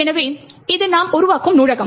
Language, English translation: Tamil, So, this is the library we create